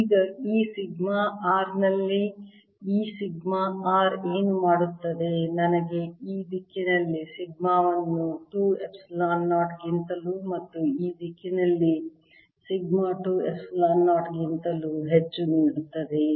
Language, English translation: Kannada, now sigma r, as i said earlier, gives me a field: sigma over two epsilon zero going to the right and sigma over two epsilon zero going to the left